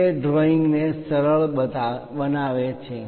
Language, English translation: Gujarati, It simplifies the drawing